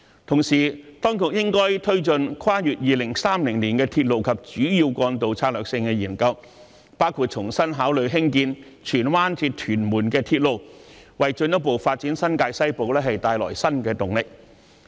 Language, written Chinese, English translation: Cantonese, 同時，當局應該推進《跨越2030年的鐵路及主要幹道策略性研究》，包括重新考慮興建荃灣至屯門的鐵路，為新界西部的進一步發展帶來新的動力。, At the same time the authorities should press ahead with the Strategic Studies on Railways and Major Roads beyond 2030 including reconsidering the construction of the Tsuen Wan - Tuen Mun Railway in order to bring new impetus to the further development of New Territories West